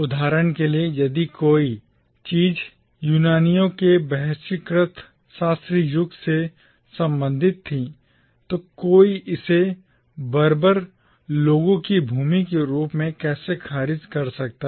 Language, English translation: Hindi, If anything was related to the exalted classical age of the Greeks, for instance, then how can one dismiss it as a land of barbarians